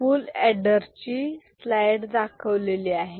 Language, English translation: Marathi, So, this is the full adder slide ok